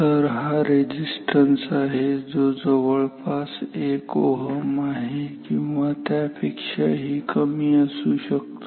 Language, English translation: Marathi, So, this is a piece of resistance around 1 ohm or maybe even less so, maybe less than 1 ohm